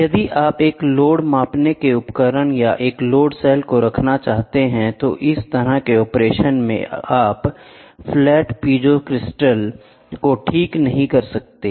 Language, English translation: Hindi, If you want to have a load measuring device or a load cell at then in a load cell, if the operation, what do you do is slightly peculiar where in which you cannot fix the flat piezo crystals